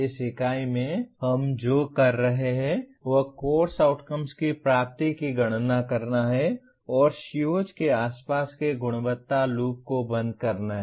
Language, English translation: Hindi, In this unit what we will be doing is compute the attainment of course outcomes and close the quality loop around COs